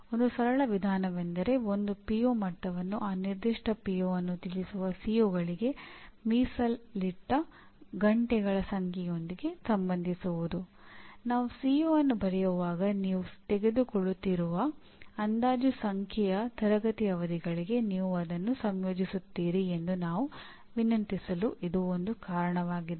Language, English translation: Kannada, That is one of the reasons why we requested when you write a CO you associate the approximate number of classroom sessions you are going to take